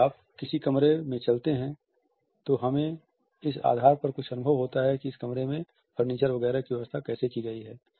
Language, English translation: Hindi, If you walk into any room, we get certain impressions on the basis of how furniture etcetera has been arranged in this room